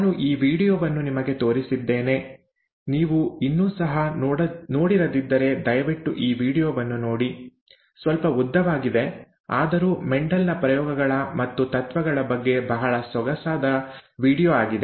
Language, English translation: Kannada, I had pointed out I had pointed this video to you, please take a look look at this video, if you have not already done so; slightly longish, but a very nice video on Mendel’s experiments and principles